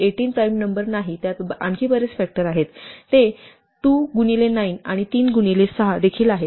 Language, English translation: Marathi, Whereas, 18 which is not a prime have many more factors, it is also 2 times 9 and 3 times 6